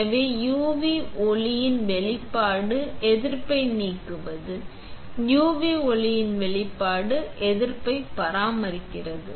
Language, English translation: Tamil, So, exposure to UV light remove resist; exposure to UV light maintains resist, right